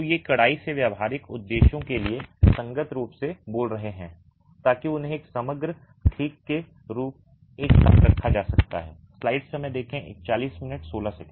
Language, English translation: Hindi, So, these are strictly speaking compatible from practical purposes in being able to put them together as a composite